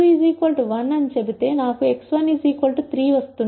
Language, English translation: Telugu, If I said x 2 equals 1 I get x 1 equal 3 and so on